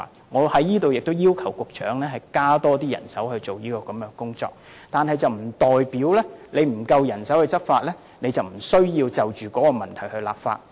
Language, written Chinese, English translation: Cantonese, 我促請局長增聘人手負責這項工作，但沒有足夠人手執法並不表示無須就一些問題立法。, While I urge the Secretary to hire more people to undertake the work I disagree that legislation should not be enacted to deal with certain issues due to a lack of manpower for law enforcement